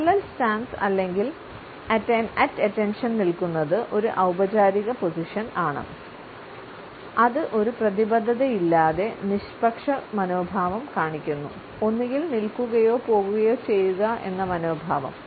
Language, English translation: Malayalam, The parallel stance or at attention is a formal position which shows a neutral attitude without any commitment; either to stay or to go